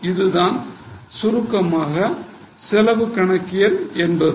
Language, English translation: Tamil, So, this is in brief what is cost accounting